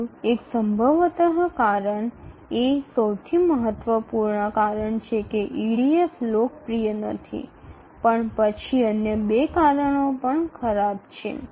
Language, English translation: Gujarati, So, the third one is possibly the most important reason why EDF is not popular but then the other two reasons also are bad